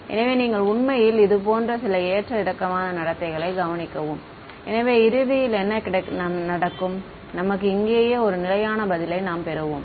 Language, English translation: Tamil, So, you might actually observe some fluctuating behavior like this eventually what will happen is that, you get a stable answer over here right